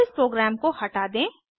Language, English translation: Hindi, Lets now clear this program